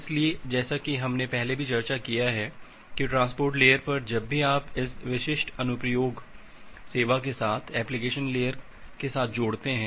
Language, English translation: Hindi, So, as we have discussed earlier like at the transport layer whenever you are interfacing it with the application layer with specific application service